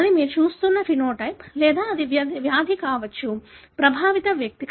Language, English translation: Telugu, That is a phenotype that you are looking at or it could be a disease; the affected individual